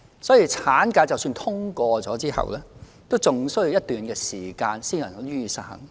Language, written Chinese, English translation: Cantonese, 所以，產假的法案即使通過後，仍需要一段時間才可以實行。, Hence even if the bill on maternity leave is passed it will still take some time for the enacted legislation to come into operation